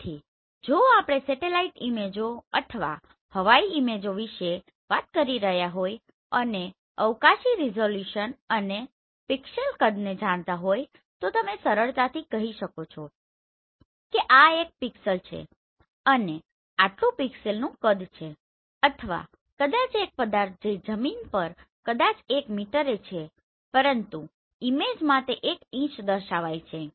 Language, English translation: Gujarati, So if we are talking about the satellite images or aerial images we know the pixel size you know this spatial resolution so you can easily say that this is the size of one pixel and one pixel or maybe one object which is on the ground maybe one meter, but in image it is coming one inches